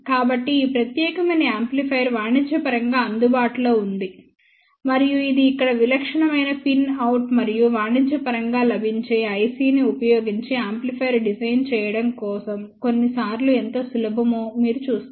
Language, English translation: Telugu, So, this particular amplifier is available commercially and this is the typical pin out over here and you will see that how simple it is sometimes to design an amplifier using commercially available IC